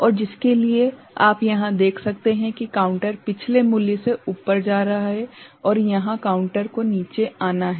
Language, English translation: Hindi, And for this you can see here the counter is going up from the previous value and here the counter has to come down right